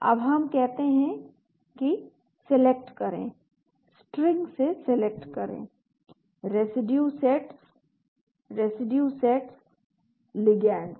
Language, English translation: Hindi, Now we say Select, Select from String, Residue Sets, Residue Sets, ligands